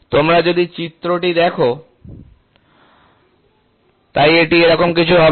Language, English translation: Bengali, If you look at the figure, so it will be something like this